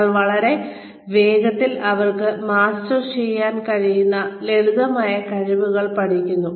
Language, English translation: Malayalam, You teach them simpler skills, that they are able to master, very, very, quickly